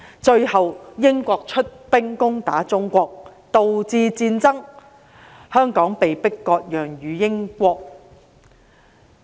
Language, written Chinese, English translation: Cantonese, 最後英國出兵攻打中國，導致戰爭，香港被迫割讓予英國。, As a result Britain sent troops to attack China and war broke out . Hong Kong was ceded to Britain